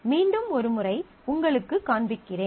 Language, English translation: Tamil, So, let me just show you once more